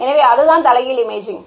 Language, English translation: Tamil, So, that is what inverse imaging is